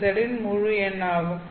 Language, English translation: Tamil, New is an integer